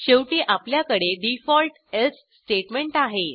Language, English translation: Marathi, Lastly, we have the default else statement